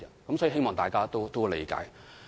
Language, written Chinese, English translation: Cantonese, 我希望大家理解。, I hope Members will understand that